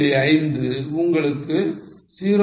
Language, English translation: Tamil, 5 you get 0